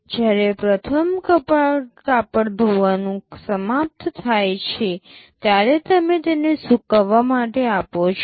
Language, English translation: Gujarati, When the first cloth washing is finished, you want to give it for drying